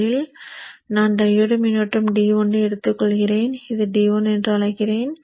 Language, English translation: Tamil, So first let me take the diode current D1